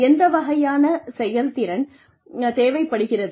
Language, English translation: Tamil, What kinds of skills, will they need